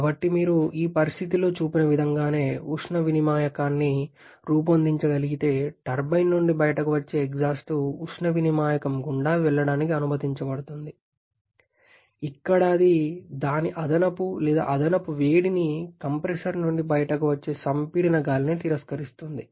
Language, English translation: Telugu, So, if you can devise a heat exchanger to just like whatever is shown in this situation the exhaust coming out of the turbine is allowed to pass through the heat exchanger, where it is rejecting its additional or excess heat to the compressed air coming out the compressor